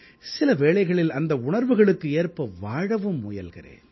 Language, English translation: Tamil, Let me sometimes try to live those very emotions